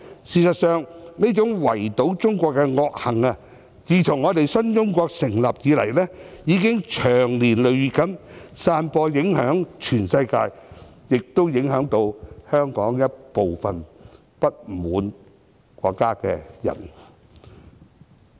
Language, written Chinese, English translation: Cantonese, 事實上，這種圍堵中國的惡行，自新中國成立以來，已經長年累月散播，影響全世界，亦影響到香港一部分不滿國家的人。, In fact since the establishment of the new China such malicious moves to isolate China have been employed for a long time affecting the whole world and some people in Hong Kong who are dissatisfied with China